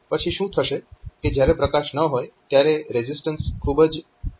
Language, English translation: Gujarati, Then what will happen is that when this when light is not there, then resistance is very high